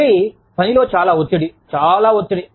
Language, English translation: Telugu, Again, so much of pressure, so much of stress, at work